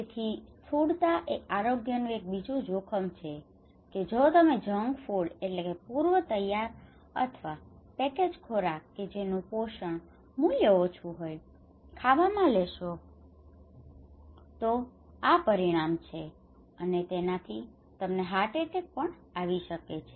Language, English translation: Gujarati, So obesity is another kind of health risk that you do not eat junk food if you are junk get taking junk food eating junk food then this is the consequence, okay and you will get heart attack